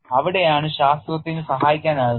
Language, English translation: Malayalam, That is where science can help